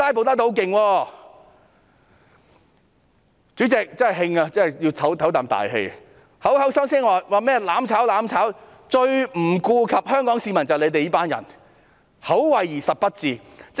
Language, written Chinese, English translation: Cantonese, 他們口口聲聲指責我們"攬炒"，但最不顧香港市民的就是他們這群人，口惠而實不至。, They keep blaming us for advocating mutual destruction yet they are those who give no regard to the people of Hong Kong . They are merely paying lip service